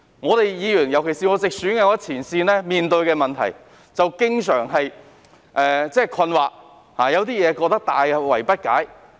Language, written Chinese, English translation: Cantonese, 我們作為議員，尤其是我是直選議員，在前線面對問題時經常感到困惑、大惑不解。, As Members especially those returned by direct elections like me we always feel puzzled and perplexed when facing these issues in the front line